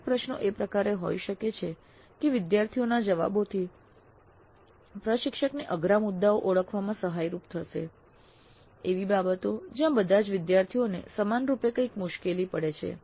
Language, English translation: Gujarati, So some of the questions can be in such a way that the responses of students would help the instructor in identifying the sticky points, the areas where the students uniformly have some difficulty